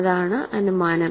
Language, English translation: Malayalam, This is the hypothesis